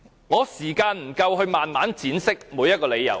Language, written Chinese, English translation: Cantonese, 我沒有足夠時間慢慢闡釋每一個理由。, I do not have enough time to elaborate each and every reason in detail